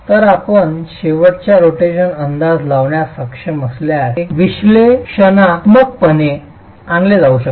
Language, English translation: Marathi, So if you are able to make an estimate of the end rotations, can that be brought in analytically